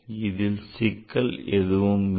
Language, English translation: Tamil, So, there is no complication